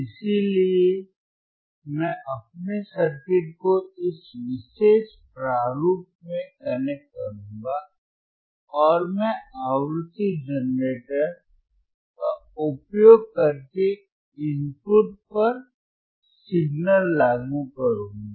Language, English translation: Hindi, So, I will connect my circuit in this particular format and I will apply the signal at the input using the frequency generator